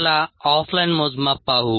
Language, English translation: Marathi, let us look at off line measurements